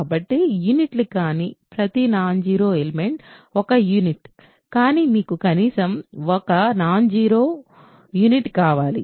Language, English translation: Telugu, So, non units every non zero element is a unit, but you want then at least 1 non zero unit